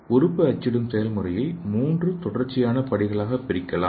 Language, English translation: Tamil, The procedure of organ printing can be subdivided into 3 sequential steps